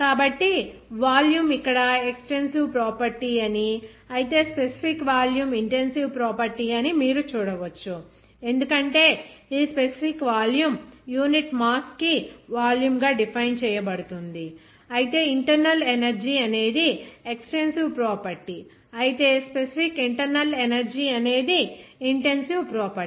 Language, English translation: Telugu, So, here see interesting that volume is an extensive property, whereas specific volume is intensive properties because this specific volume is defined by volume per unit mass, whereas internal energy is an extensive property, whereas specific internal energy it is an intensive property